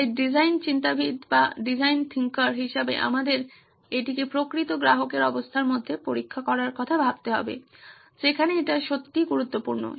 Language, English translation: Bengali, So we as design thinkers need to think about testing it in real customer conditions where it really matters